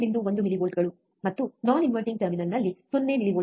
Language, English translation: Kannada, 1 millivolts, and invert non inverting terminal 0 millivolts, right